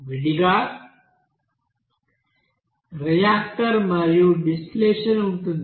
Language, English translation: Telugu, There separately reactor and distillation will be there